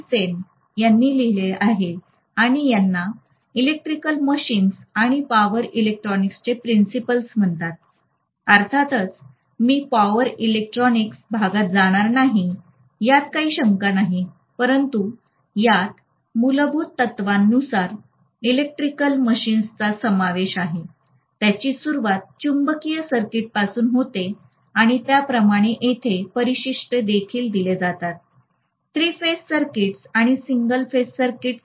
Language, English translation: Marathi, Sen and this is called Principles of Electrical Machines and Power Electronics, of course we will not be going into power electronics portion, no doubt but this covers electrical machines from a fundamental principle, it starts with magnetic circuits and so on there are appendices given on a three phase circuits and single phase circuits